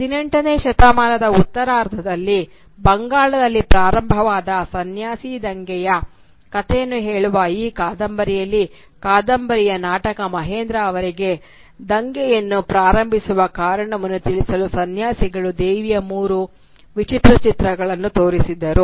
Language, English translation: Kannada, In this novel which tells the story of the sanyasi rebellion that erupted in Bengal during the late 18th century, the hero Mahendra is, at one point in the novel, shown three different images of the Mother Goddess by the sanyasis to explain to him the reason for which the rebellion was organised by them